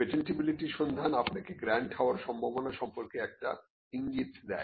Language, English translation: Bengali, The patentability search gives you an indication as to the chances of getting a grant